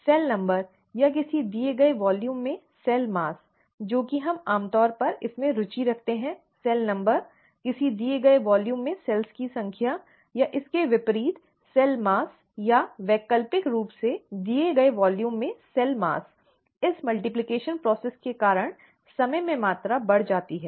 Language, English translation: Hindi, The cell number, or the cell mass in a given volume, right, that is, what we are normally interested in, the cell number, number of cells in a given volume, or conversely, the cell mass or alternatively, the cell mass in a given volume increases in time because of this multiplication process